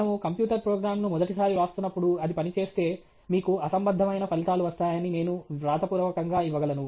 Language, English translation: Telugu, First time when we are writing a computer program, if it works, I can give it in writing that you will get absurd results